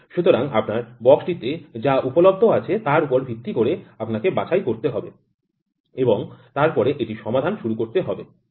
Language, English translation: Bengali, So, that you are based upon what is available in your box you have to pick these gauges and then start solving it